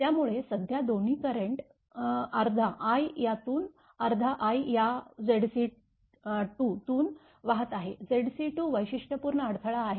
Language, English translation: Marathi, So, current i, at both are equal half i half i current flowing through this to Z c 2, Z c 2 characteristic impedance right